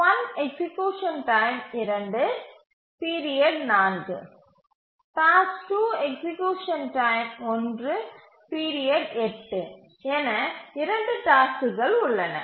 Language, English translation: Tamil, Now there are two tasks, execution time 2, period 4, task 2, execution time 1, period 8